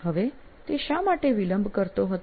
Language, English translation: Gujarati, Now why was he a procrastinator